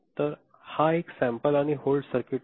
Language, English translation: Marathi, So, this is a sample and hold circuit